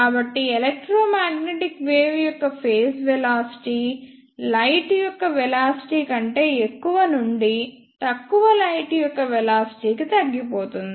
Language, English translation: Telugu, So, this is how the phase velocity of electromagnetic wave is reduced from greater than velocity of light to less than velocity of light